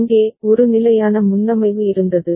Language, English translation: Tamil, Here, there was a fixed preset